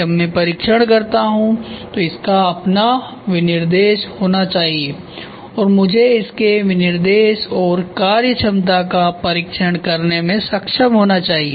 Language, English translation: Hindi, When I test it should have his own specification and I should be able to test its specification and the functionality